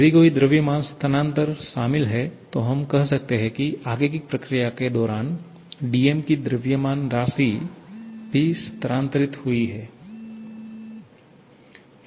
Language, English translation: Hindi, If there is any mass transfer involved, let us say del m amount of mass also moved in during the forward process